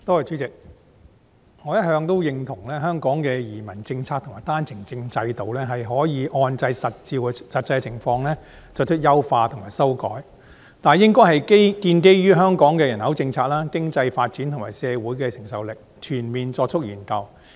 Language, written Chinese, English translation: Cantonese, 代理主席，我一直認同香港的移民政策及單程證制度，是可以按照實際的情況作出優化及修改，但有關的優化及修改應該建基於香港的人口政策、經濟發展及社會承受力，並有全面的研究。, Deputy President I always agree that the immigration policy and the One - way Permit OWP system in Hong Kong can be improved and revised based on actual circumstances . But any improvement or revision should be founded on Hong Kongs population policy economic development and social capacity with the backup of comprehensive studies